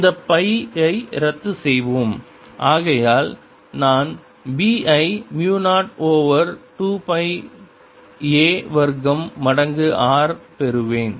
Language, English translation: Tamil, let's cancel this pi and therefore i get b to be mu zero over two pi a square times r